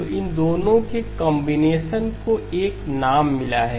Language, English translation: Hindi, So the combination of these two has got a name